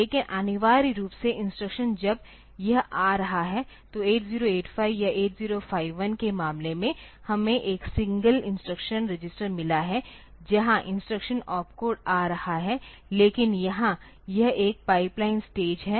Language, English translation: Hindi, But, essentially the instruction when it is coming, so, in case of 8085 or 8051 we have got a single instruction register where the instruction opcode is coming, but here it is a more pipeline stage